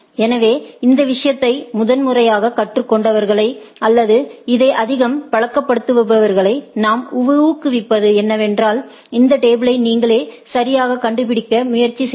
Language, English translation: Tamil, So, what I encourage those who are learning this thing in for the first time or not very much accustomed with this try to find out these tables yourself right